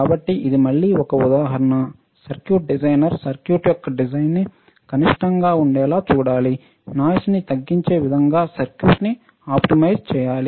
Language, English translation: Telugu, So, this is just again an example that at least minimize the designer right, who is circuit designer can optimize the design such that the noise is minimized